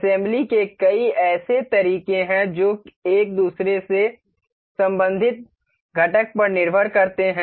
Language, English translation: Hindi, There are multiple such methods of assembly that which depend on the component being related to one another